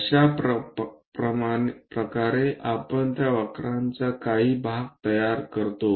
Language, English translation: Marathi, This is the way we construct part of that curve